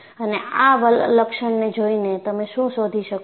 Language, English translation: Gujarati, And by looking at this feature, what do you find